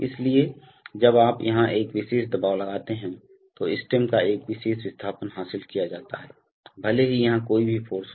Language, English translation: Hindi, So therefore, when you apply a particular pressure here, a particular displacement of the stem is achieved, irrespective of what are the forces here